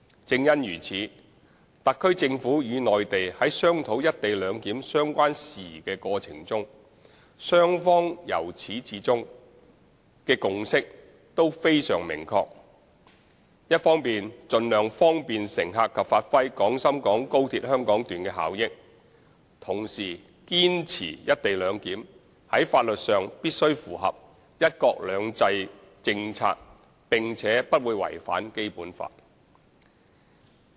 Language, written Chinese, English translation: Cantonese, 正因如此，特區政府與內地在商討"一地兩檢"相關事宜的過程中，雙方由始至終的共識都非常明確：一方面盡量方便乘客及發揮廣深港高鐵香港段的效益，同時堅持"一地兩檢"在法律上必須符合"一國兩制"政策，並且不會違反《基本法》。, For this reason throughout the discussion between the HKSAR Government and the Mainland on matters relating to co - location arrangement the consensus between the two sides has always been very clear while seeking to bring convenience to passengers and unleash the benefits of the Hong Kong Section of XRL to the greatest extent it must be insisted at the same time that as a matter of law the co - location arrangement will be consistent with the policy of one country two systems and will not contravene the Basic Law